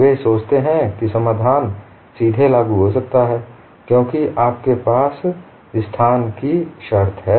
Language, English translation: Hindi, They think that the solution is directly applicable, because of space constrained, you have this